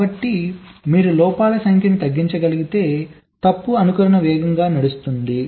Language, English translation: Telugu, so if you can reduce the number of faults, fault simulation can run faster